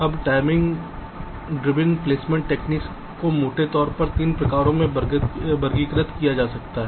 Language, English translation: Hindi, now, timing driven placement techniques can be broadly categorized into three types